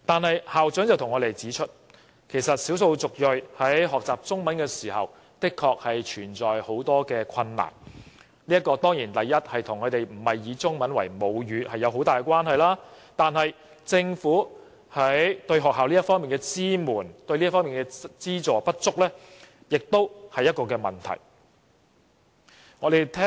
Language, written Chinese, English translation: Cantonese, 可是，校長亦向我們指出，少數族裔學習中文存在不少困難，這方面固然與他們並非以中文為母語有莫大關係，但政府對學校的支援和資助不足也是問題。, With that said the principal also told us that EM students have to face many difficulties when learning Chinese . Of course one major reason is that Chinese is not their mother tongue but the insufficient support and subsidies provided by the Government to the schools is also a contributing factor